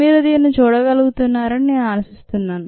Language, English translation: Telugu, i hope you are able to visualize this